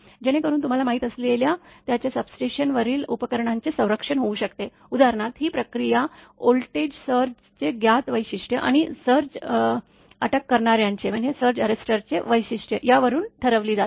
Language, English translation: Marathi, Such that it can protect the you know equipment in the; its substation for example, say right this process is determined from the known characteristic of voltage surges and the characteristic of surge arresters